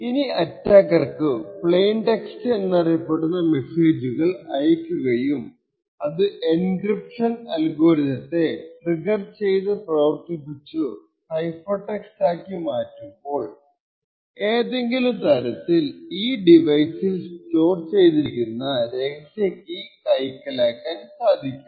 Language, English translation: Malayalam, Now the attacker is able to send messages which we now call as plain text trigger this encryption algorithm to execute and also collect the cipher text the objective of the attacker is to somehow extract the secret key which is stored inside the device